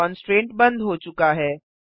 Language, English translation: Hindi, The constraint is removed